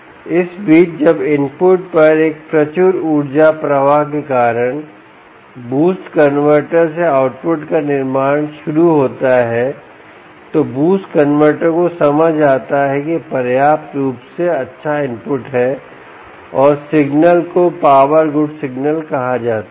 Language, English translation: Hindi, meanwhile, when the output from the boost convertor starts to build up because of a copious energy flow at the input, the boost converter senses that there is sufficiently good input and gives a signal out called the power good signal